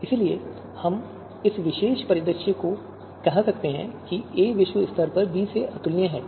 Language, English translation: Hindi, You can see here a is globally incomparable to b